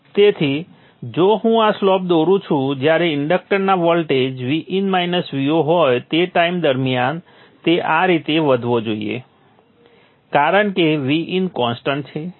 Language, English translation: Gujarati, So if I draw this slope during the time when the voltage across the inductor is V in minus V 0 it should increase like this because V N is a constant, V N is a constant, L is a known constant